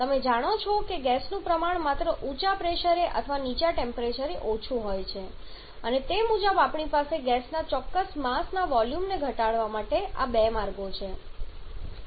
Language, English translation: Gujarati, You know that the gas has lower volume only at higher pressure or at low temperature and accordingly we have these 2 routes of reducing the volume of a certain mass of gas